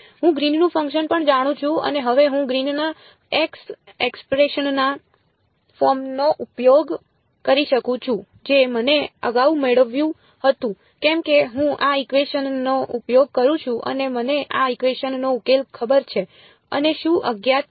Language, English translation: Gujarati, I also know Green's function and now I can use the closed form Green's ex expression which I derived previously why because I am using this equation and I know the solution on this equation and what is unknown